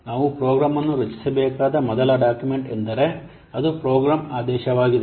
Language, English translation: Kannada, The first document that we require to create a program is program mandate